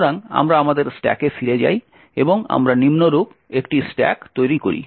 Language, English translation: Bengali, So, we go back to our stack and we build a stack as follows